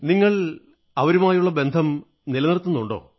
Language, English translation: Malayalam, Are you still in touch with them